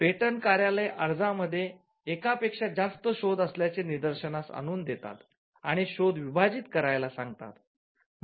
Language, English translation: Marathi, The point, the patent office may point out that you have, your application has more than one invention and ask you to divide it